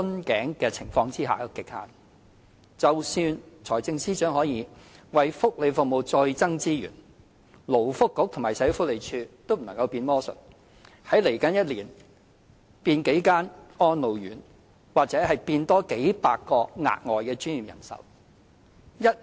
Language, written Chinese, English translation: Cantonese, 即使財政司司長可以為福利服務再增撥資源，勞工及福利局和社會福利署亦不能變魔術，在未來一年內變多幾間安老院或數以百計額外專業人手。, Even if the Financial Secretary can allocate more resources to welfare the Labour and Welfare Bureau and the Social Welfare Department will not be able to do any magic trick conjuring up a couple of residential care homes for the elderly or hundreds of additional professional workers within the next year